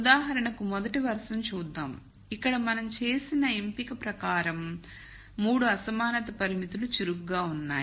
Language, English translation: Telugu, So, let us look at the rst row for example, here the choice we have made is all the 3 inequality constraints are active